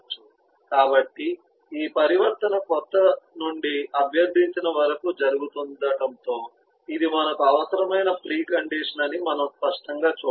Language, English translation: Telugu, so we can clearly see that as this transition happen from new to requested, this is the pre condition that you need